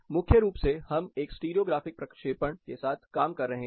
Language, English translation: Hindi, Primarily, we are working with a stereo graphic projection